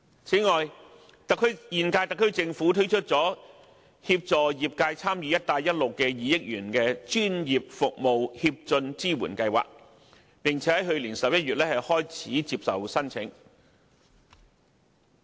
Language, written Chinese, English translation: Cantonese, 此外，現屆特區政府推出了協助業界參與"一帶一路"的 2,000 億元專業服務協進支援計劃，並在去年11月開始接受申請。, Moreover the current - term Government has launched the 200 billion Professional Services Advancement Support Scheme PASS to assist Hong Kongs professional services in taking part in the Belt and Road Initiative